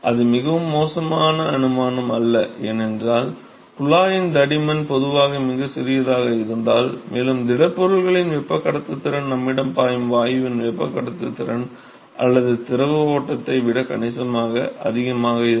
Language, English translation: Tamil, It is not a very bad assumption to make, because if the thickness of the tube will be typically very very small and also the conductivity of the solid is significantly higher than the conductivity of the gas flowing that we have or the fluid stream